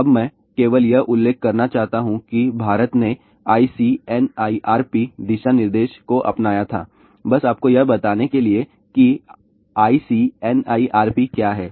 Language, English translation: Hindi, Now I just want to mention that India had adopted ICNIRP guideline ah just to tell you what is ICNIRP